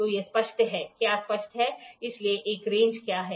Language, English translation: Hindi, So, it is clear; what is clear, so, what is a range